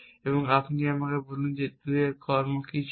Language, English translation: Bengali, And you tell me what were the 2 actions